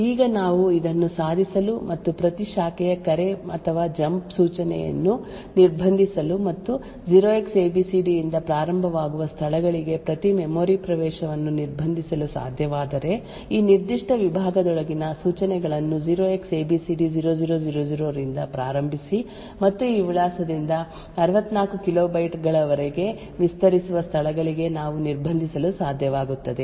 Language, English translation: Kannada, Now if we are able to achieve this and restrict every branch call or a jump instruction as well as restrict every memory access to locations which start with 0Xabcd then we will be able to confine the instructions within this particular segment to the locations starting from 0Xabcd0000 and extending up to 64 kilobytes from this address